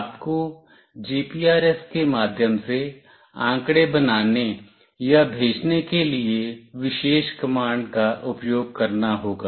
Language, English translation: Hindi, You have to use the particular command to make or send the data through GPRS